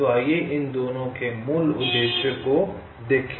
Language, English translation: Hindi, ok, so let see the basic objectives of this two